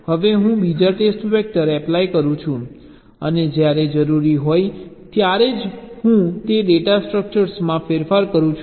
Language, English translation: Gujarati, now i apply the second test vector and i make changes to those data structure only when required